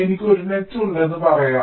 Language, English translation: Malayalam, lets say, i have a net